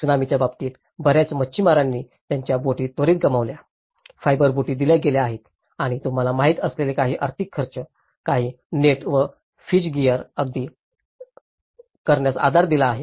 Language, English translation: Marathi, In the Tsunami case, many of the fishermen lost their boats so immediately, the fibre boats have been provided and provided some financial expenditure you know, support to buy some nets and fish gear